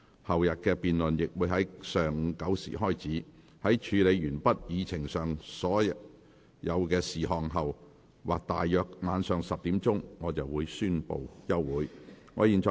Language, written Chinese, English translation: Cantonese, 後天的辯論亦會在上午9時開始，在處理完畢議程上所有事項後或大約晚上10時，我便會宣布休會。, The debate for the day after tomorrow will also start at 9col00 am . I will adjourn the meeting after conclusion of all the business on the Agenda or at around 10col00 pm